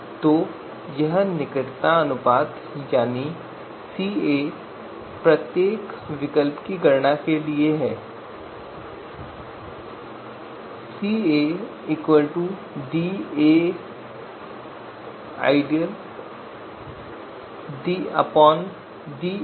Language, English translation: Hindi, So this closeness ratio that is capital Ca is going to be computed for each of the alternatives